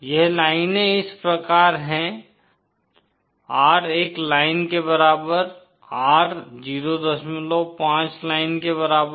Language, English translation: Hindi, These lines are like the R equal to one line, R equal to 0